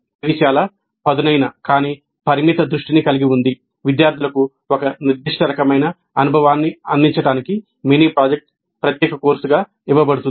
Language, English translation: Telugu, It has a very sharp but limited focus in the sense that the mini project as a separate course is offered to provide a specific kind of experience to the students